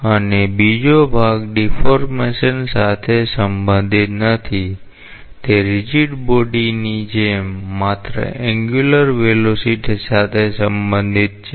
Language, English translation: Gujarati, And another part is not related to deformation it is related to just angular motion like a rigid body